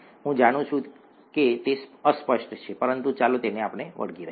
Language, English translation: Gujarati, I know it is vague, but let us stick to it